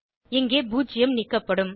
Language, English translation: Tamil, In our case, zero will be removed